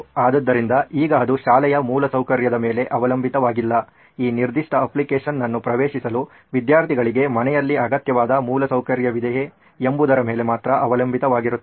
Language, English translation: Kannada, So now it is no longer dependent on the school infrastructure, it is only dependent on whether students have the required infrastructure at home to access this particular application